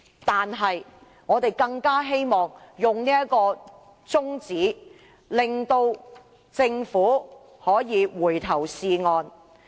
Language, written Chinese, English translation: Cantonese, 因此，我們希望提出中止待續的議案，令政府可以回頭是岸。, Thus I propose an adjournment motion so that the Government can mend its ways